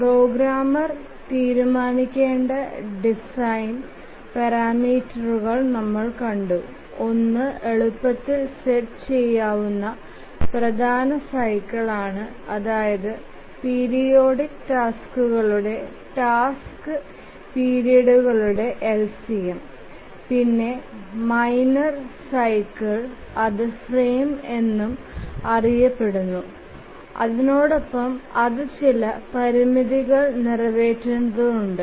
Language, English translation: Malayalam, We had seen that the design parameters that need to be decided by the programmer is one is the major cycle which is easy to set which is the LCM of the task periods and the periodic tasks and the minor cycle also called as the frame